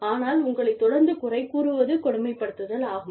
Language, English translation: Tamil, But, you being, belittled constantly, is bullying